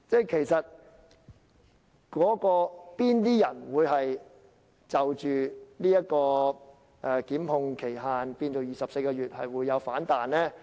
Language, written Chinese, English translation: Cantonese, 其實哪些人會反對將檢控的法定時效限制延長至24個月呢？, Actually who would oppose extending the statutory time limit for prosecution to 24 months?